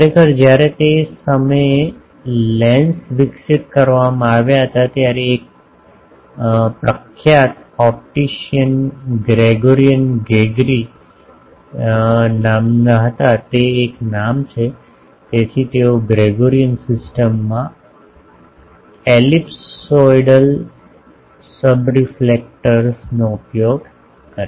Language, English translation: Gujarati, Actually when lenses were developed that time one famous optician Gregorian Gregory after his name it is a so they use ellipsoidal subreflectors in Gregorian system